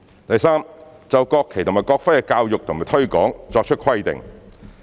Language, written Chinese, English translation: Cantonese, 第三，就國旗及國徽的教育和推廣作出規定。, Third provide for the education and promotion of the national flag and national emblem